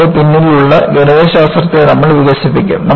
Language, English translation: Malayalam, We will develop the Mathematics behind it